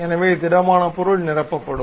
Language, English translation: Tamil, So, the solid object will be completely filled